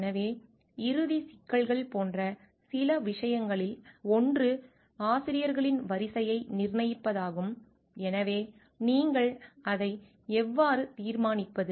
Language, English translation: Tamil, So, one of the things which will be a some like final issues will be the determination of the order of authors so, how do you determine is